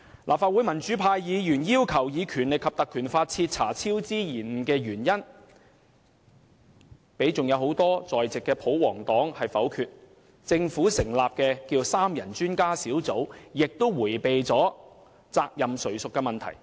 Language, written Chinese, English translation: Cantonese, 立法會民主派議員要求引用《立法會條例》徹查超支及延誤的原因，但被多位在席的保皇黨議員否決，而由政府成立的三人專家小組，亦迴避責任誰屬的問題。, Pro - democracy Members therefore sought to invoke the Legislative Council Ordinance for the purpose of thoroughly investigating the causes of cost overrun and works delay . But their request was voted down by royalist Members some of whom are present in the Chamber now . As for the three - person Independent Expert Panel set up by the Government it likewise avoided the question of accountability and responsibility